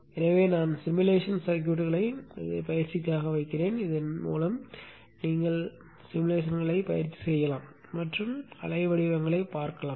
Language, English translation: Tamil, So I will also put the simulation circuits for practice so that you can practice the simulation and see the waveforms